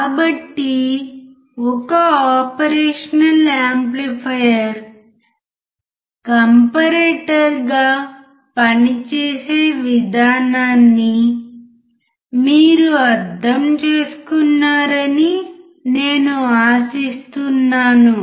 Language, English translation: Telugu, So, I hope that you understood the role of an operational amplifier as a comparator